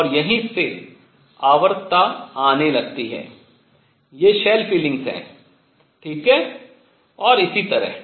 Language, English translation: Hindi, And this is where the periodicity starts coming in; these are the shell feelings, all right and so on